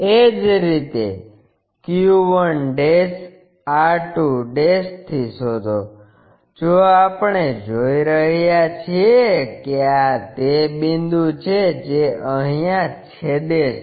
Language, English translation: Gujarati, Similarly, locate from q1' r2'; if we are seeing this is the point what is intersecting